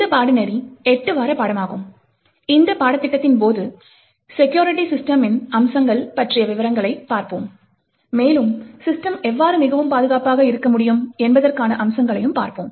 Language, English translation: Tamil, So, this course is an eight week course and, during this course we will actually look at details about, aspects about security systems, and essentially will look at aspects about how systems can be built to be more secure